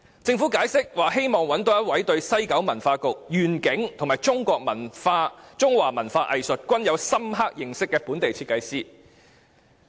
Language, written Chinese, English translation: Cantonese, 政府解釋，希望找到一位對西九文化區願景和中華文化藝術均有深刻認識的本地設計師。, According to the Government the ideal candidate is a local designer who has a good understanding of the vision of WKCD and has profound knowledge of the Chinese culture and art